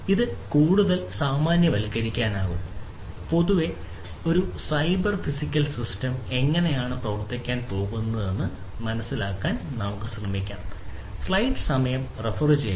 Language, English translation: Malayalam, So, this could be generalized further and we can try to understand how, in general, a cyber physical system is going to work